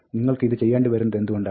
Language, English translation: Malayalam, Now, why would you want to do this